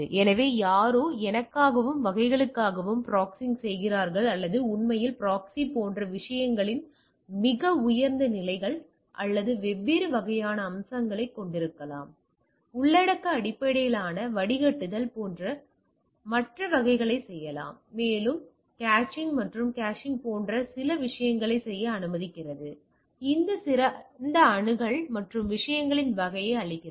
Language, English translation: Tamil, So, somebody is proxing for me and type of things or actually proxy can have much higher levels like or different type of aspects of the things even do content based filtering etcetera and type of and allows to do some of the things like caching and like caching and giving a better accessibility and type of things